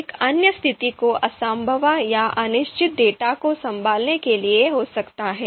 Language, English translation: Hindi, Another situation could be to handle imprecise or uncertain data